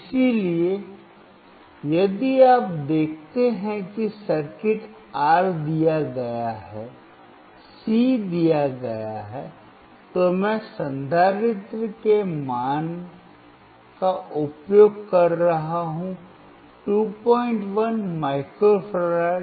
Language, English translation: Hindi, So, here if you see the circuit R is given, C is given, I am using the value of capacitor equals 2